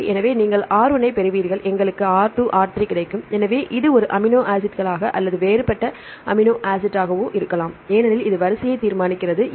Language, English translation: Tamil, So, you get R 1, we will get R 2, R 3 and so on this can be same amino acid or the different amino acid because this determine the sequence